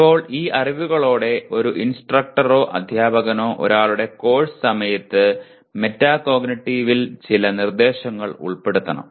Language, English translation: Malayalam, Now with all these knowledge an instructor or a teacher should incorporate some instruction in metacognitive during one’s course